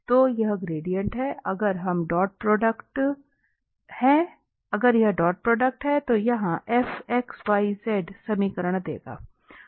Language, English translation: Hindi, So this is the gradient, if it is dot product will exactly give this equation